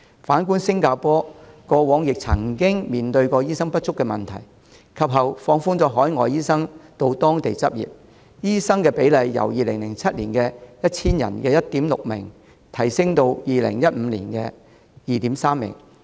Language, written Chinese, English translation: Cantonese, 反觀新加坡過往亦曾經面對醫生不足的問題，及後放寬海外醫生到當地執業，醫生比例由2007年的 1,000 人中的 1.6 名，提升至2015年的 2.3 名。, In the past Singapore also had the problem of shortage of doctors . After relaxing the requirements for overseas doctors to practise in Singapore its doctor ratio was raised from 1.6 doctors for every 1 000 people in 2007 to 2.3 doctors for every 1 000 people in 2015